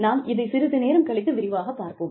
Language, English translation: Tamil, And, we will go into detail, a little later